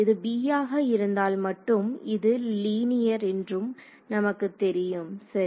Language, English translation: Tamil, So, if this is b and we know it is linear right